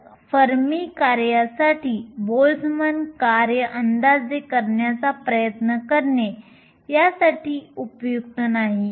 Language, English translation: Marathi, So trying to approximate the Boltzmann function for the Fermi function is not good here